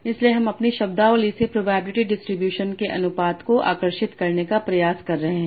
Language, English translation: Hindi, So I'm trying to draw the proportions the probability distributions from my vocabulary